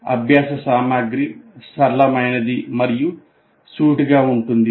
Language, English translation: Telugu, Learning material is fairly simple and straightforward